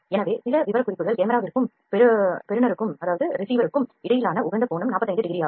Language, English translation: Tamil, So, there certain specifications the optimum angle between the camera and the receiver is 45 degrees